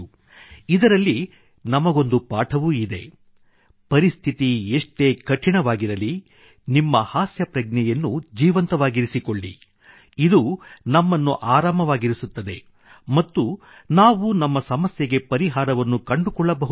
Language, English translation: Kannada, In it there is a lesson for us too… keep alive your sense of humour irrespective of how difficult the situations are, not only will this keep us at ease; we will be able to find solutions to our problems